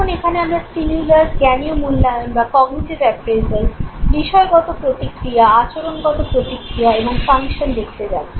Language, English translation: Bengali, Now here we are going to look at the stimulus vents, the cognitive appraisal, the subjective reaction, the behavioral reaction and the function